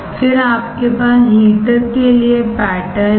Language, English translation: Hindi, Then you have the pattern for heater